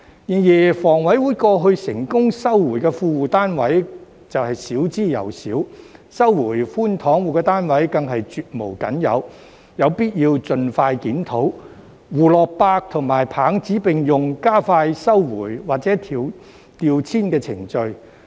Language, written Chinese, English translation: Cantonese, 然而，香港房屋委員會過去成功收回的富戶單位少之又少，收回寬敞戶的單位更是絕無僅有，有必要盡快檢討，胡蘿蔔與棒子並用，加快收回或調遷的程序。, However the Hong Kong Housing Authority has successfully recovered very few units from well - off tenants and next to none units from under - occupation households . It is necessary to conduct a review as soon as possible and use both the carrot and the stick to speed up the process of recovery or transfer